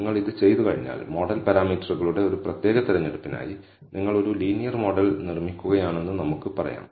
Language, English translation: Malayalam, So, once you have done this, for a particular choice of the model parameters, let us say you have building a linear model